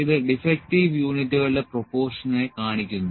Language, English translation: Malayalam, So, it is showing the proportion of defective units